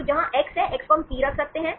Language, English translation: Hindi, So, where is x, x we can put P right